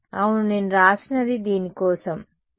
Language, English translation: Telugu, Yeah, what I wrote was for this what, the z minus z should have